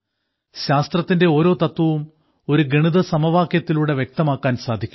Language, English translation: Malayalam, Every principle of science is expressed through a mathematical formula